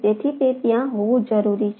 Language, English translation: Gujarati, right, so that are needs to be there